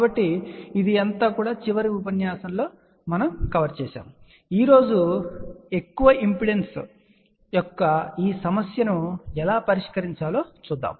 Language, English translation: Telugu, So, this was covered in the last lecture so, today let us see how this problem of very high impedance can be solved